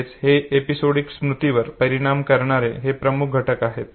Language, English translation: Marathi, So these are the prominent factors that affect episodic memory